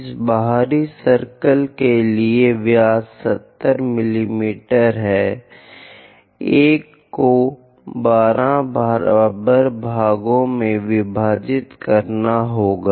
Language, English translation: Hindi, For this outer circle, the diameter is 70 mm; one has to divide into 12 equal parts